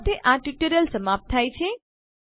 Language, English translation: Gujarati, With this we come to an end of this tutorial